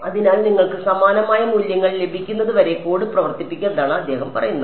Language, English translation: Malayalam, And you keep running the code until you get a similar values